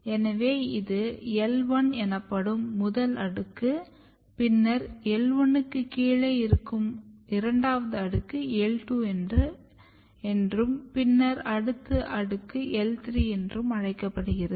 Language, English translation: Tamil, So, you can have this is the first layer which is called L 1, then the second layer which is below the L 1 is called L 2 and then the layer beneath it is called L 3 layer